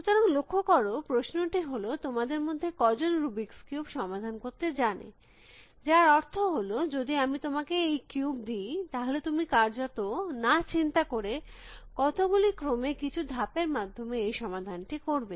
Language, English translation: Bengali, So, noticed that the question was how many of you know how to solve the rubrics cube, which means that, if I want to give you this cube, you with virtually without thinking do a sequence of moves within then the making this solve